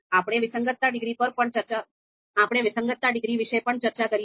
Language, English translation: Gujarati, We have also talked about the discordance degree